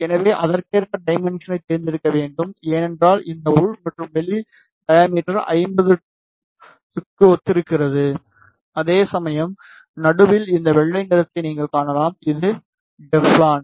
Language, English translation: Tamil, So, you need to select the dimensions accordingly, because this inner and outer diameter corresponds to 50 Ohm, whereas in the middle you can see this white colour this is Teflon